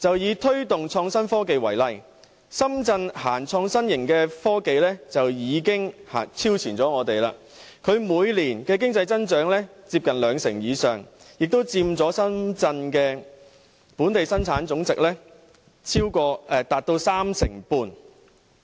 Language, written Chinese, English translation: Cantonese, 以推動創新科技為例，深圳推行創新型科技已經超前我們，行業的經濟增長每年接近兩成以上，亦佔深圳的本地生產總值達到三成半。, In the case of promoting innovation and technology for example Shenzhens efforts of fostering innovative technology have already overtaken ours and the industry has recorded an economic growth of almost 20 % every year and constituted as much as 35 % of Shenzhens GDP